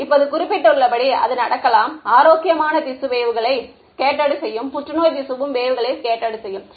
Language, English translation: Tamil, Now as was mentioned it can happen that healthy tissue will also scatter waves cancerous tissue will also scatter waves